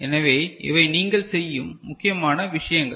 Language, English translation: Tamil, So, these are important thing that you perform